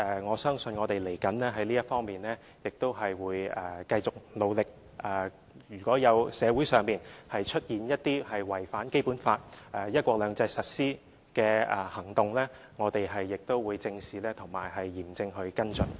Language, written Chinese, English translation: Cantonese, 我相信將來在這方面我們也會繼續努力，如果社會上出現一些違反《基本法》和"一國兩制"實施的行動，我們也會正視及嚴正地跟進。, I believe we have to keep up our efforts in future and if in society there are actions in violation of the implementation of the Basic Law and one country two systems we will address them squarely and follow them up in a serious and impartial manner